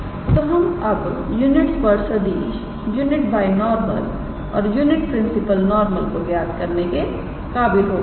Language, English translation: Hindi, So, we have been able to calculate the unit tangent vector unit binormal and unit principle normal